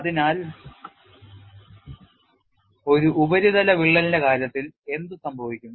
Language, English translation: Malayalam, So, what happens in the case of a surface crack